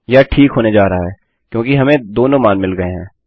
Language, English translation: Hindi, This is going to be okay because we have got both values